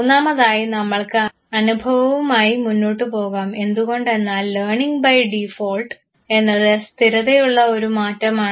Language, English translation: Malayalam, And third we would like to now go ahead with the experience because learning by default is suppose to be a relatively a permanent change